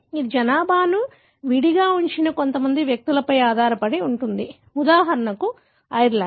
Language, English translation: Telugu, This is, it depends on the few individuals who seeded the population in an isolate, for example Ireland